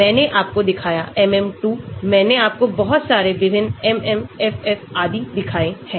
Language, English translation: Hindi, I showed you MM 2, I showed you so many different MMFF and so on